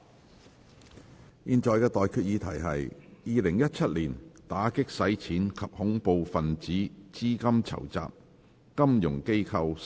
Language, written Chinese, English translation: Cantonese, 我現在向各位提出的待決議題是：《2017年打擊洗錢及恐怖分子資金籌集條例草案》，予以二讀。, I now put the question to you and that is That the Anti - Money Laundering and Counter - Terrorist Financing Amendment Bill 2017 be read the Second time